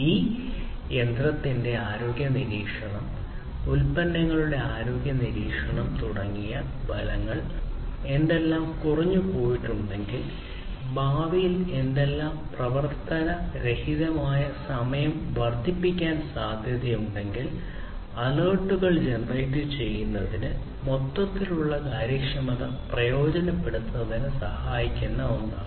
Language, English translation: Malayalam, The effects; such as the health monitoring of this machinery, health monitoring of the products; if something has gone down, if something is going to go down; if something is likely to increase the downtime in the future generating alerts, beforehand, is also something that will help in improving the overall efficiency